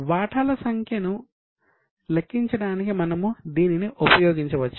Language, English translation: Telugu, So, we can use it for calculating number of shares